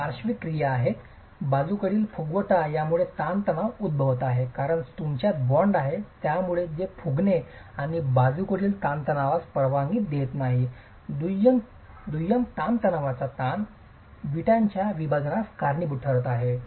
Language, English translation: Marathi, The lateral bulging is causing these stresses because you have the bond, it doesn't allow it to bulge and lateral tension, secondary tensile stresses is causing the splitting of the brickwork